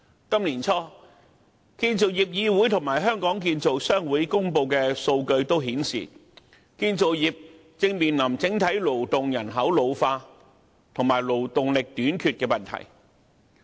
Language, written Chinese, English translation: Cantonese, 建造業議會和香港建造商會於今年年初公布的數據顯示，建造業正面對整體勞動人口老化及勞動力短缺的問題。, According to the data published by the Construction Industry Council and the Hong Kong Construction Association Limited early this year the construction industry is facing an overall ageing labour force and a labour shortage